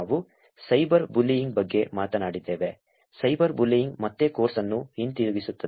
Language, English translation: Kannada, Also we talked about cyber bullying, cyber bullying will come back again the course